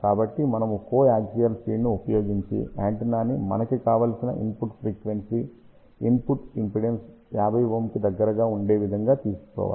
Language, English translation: Telugu, So, we have used a co axial feed to feed the antenna such a way that at the desired frequency input impedance should be around 50 ohm